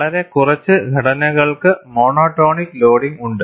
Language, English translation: Malayalam, Very few structures have monotonic loading